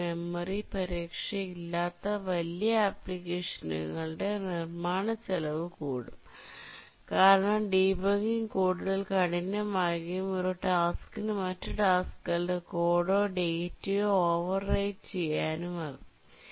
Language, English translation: Malayalam, But then for larger application without memory protection, the cost of development of the program increases because debugging becomes very hard, one task can overwrite the data or the code of another task